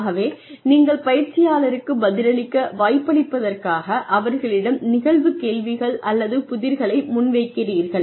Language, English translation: Tamil, So, you present questions facts or problems to the learner, when you allow the person to respond